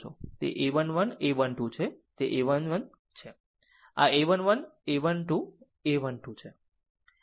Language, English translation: Gujarati, That is a 1 1, a 1 2, that is a 1 1, this is a 1 1, a 1 2, a 1 3 repeat